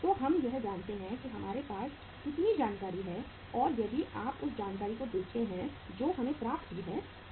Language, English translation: Hindi, So we know it that how much information we have and if you look at the information we have got the weights